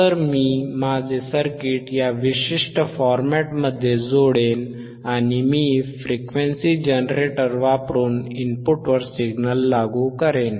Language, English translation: Marathi, So, I will connect my circuit in this particular format and I will apply the signal at the input using the frequency generator